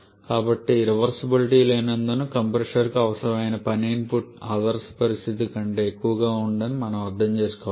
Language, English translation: Telugu, So, we have to understand that because of the presence of irreversibility’s the work input required for the compressor is more than the ideal situation